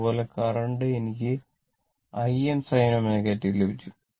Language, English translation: Malayalam, Similarly, for current, we got I m sin omega t